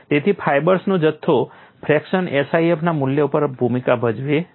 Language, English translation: Gujarati, So, the volume fracture of the fibers does play a role on the value of SIF